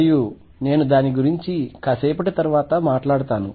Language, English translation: Telugu, And I will talk about it more later